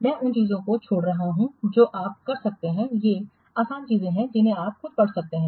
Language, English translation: Hindi, I am skipping those things you can, these are easy things you can read just yourself